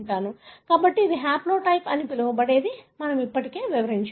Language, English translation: Telugu, So, this is something that is called as haplotype, that we described already